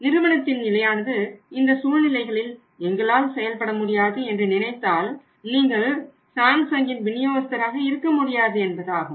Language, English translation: Tamil, And company’s condition is that we cannot perform on such conditions then you need not to be out of the distributor of the Samsung